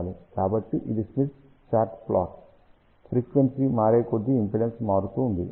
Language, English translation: Telugu, So, this is the plot on the Smith chart as frequency changes impedance changes